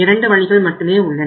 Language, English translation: Tamil, Either, you have 2 ways